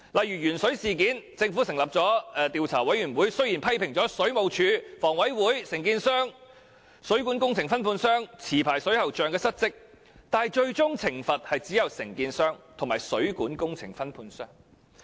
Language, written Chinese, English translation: Cantonese, 以鉛水事件為例，雖然政府成立的調查委員會批評水務署、香港房屋委員會、承建商、水管工程分判商及持牌水喉匠失職，但最終受到懲罰的只有承建商和水管工程分判商。, For example although the Governments Commission of Inquiry into the lead - in - water incident criticized the Water Supplies Department the Hong Kong Housing Authority the contractors the plumbing subcontractors and the licensed plumbers for dereliction of duty only the contractors and the plumbing subcontractors were punished in the end